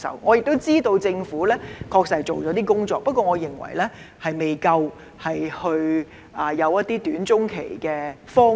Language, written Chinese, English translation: Cantonese, 我亦知道政府確實做了一些工作，但我認為仍不足夠，欠缺短、中期的方案。, I also know that the Government has actually done some work but I think it is still not adequate and there is a lack of short - and medium - term proposals